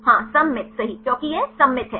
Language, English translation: Hindi, Yes symmetric right why it is symmetric